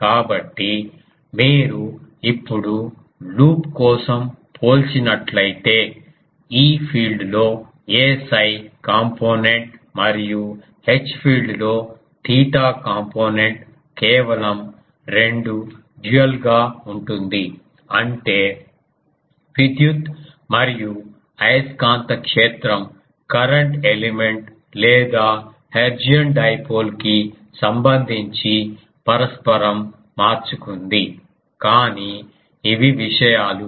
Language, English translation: Telugu, So, if you just compare that now the for a loop; the e field has a phi component and H filed it has a theta component just dual 2; that means, electric and magnetic field got just interchange with respect to the current element or hertzian dipole, but since these are things